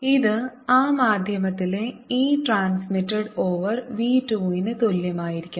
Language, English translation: Malayalam, this should be equal to e transmitted over v two in that medium